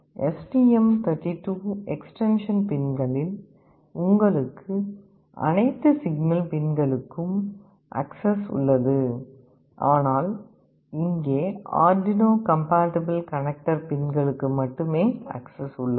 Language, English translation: Tamil, In the STM32 extension pins, you have access to all the signal pins, but here you have access to only the Arduino compatible connector pins